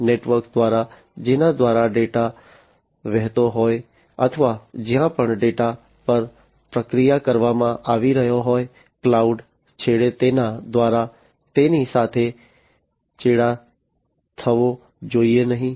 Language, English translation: Gujarati, They should not be compromised either through the network through which the data are flowing or wherever the data are being processed, so that means, at the cloud end